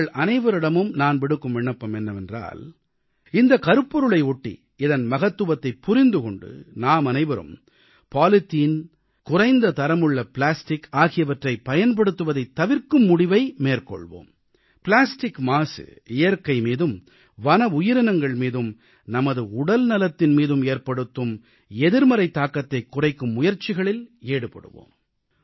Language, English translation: Tamil, I appeal to all of you, that while trying to understand the importance of this theme, we should all ensure that we do not use low grade polythene and low grade plastics and try to curb the negative impact of plastic pollution on our environment, on our wild life and our health